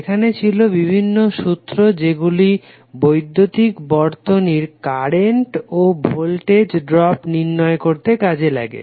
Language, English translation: Bengali, There are various laws which are used to determine the currents and voltage drops in the electrical circuit